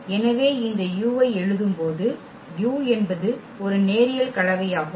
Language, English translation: Tamil, So, when we write down this u because u is a linear combination well correct